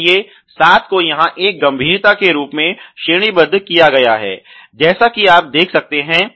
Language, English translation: Hindi, So, seven has been rated as a severity here as you can see